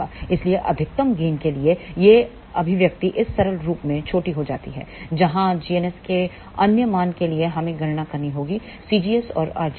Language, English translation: Hindi, So, for maximum gain this expression reduces to this simple form where as for other values of g ns we have to calculate c gs and r gs